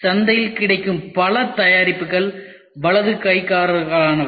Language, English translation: Tamil, Many of the products which are available in the market are for right handers